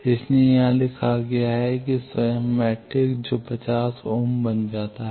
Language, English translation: Hindi, So, that is written here self S matrix that becomes 50 ohm